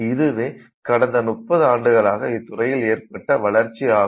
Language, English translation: Tamil, So, this is what has happened in the last 30 years or so